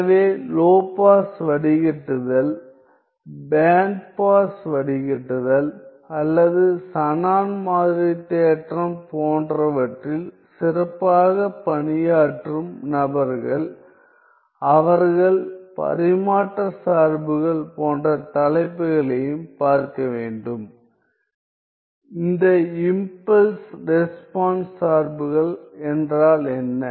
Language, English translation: Tamil, So, people who are specially working in this area of low pass filtering, band pass filtering or Shannon sampling theorem, they should also look at topics like transfer functions, what are these impulse response functions